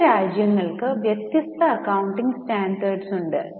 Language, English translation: Malayalam, Now, different countries have different accounting standards